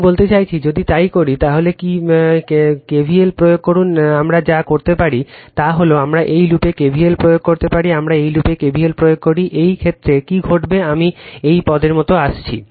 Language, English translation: Bengali, I mean if you do so, if you apply your what you call KVL then, what you call we do is what we can do is we apply KVL in this loop, we apply KVL in this loop in this case, what will happen am coming like this term